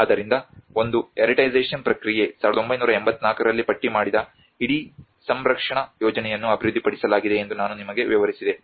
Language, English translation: Kannada, So one is the heritagisation process I just explained you that in 1984 the whole listed the conservation plan has been developed